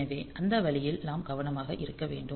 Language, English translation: Tamil, So, that way we have to be careful